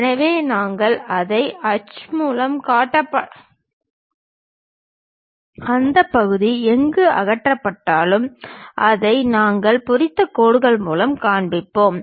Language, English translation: Tamil, So, we do not show it by any hatch; wherever material has been removed that part we will show it by hatched lines